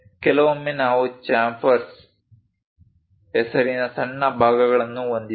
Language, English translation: Kannada, Sometimes, we have small portions named chamfers